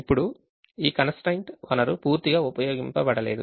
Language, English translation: Telugu, now this constraint: the resource is not fully utilized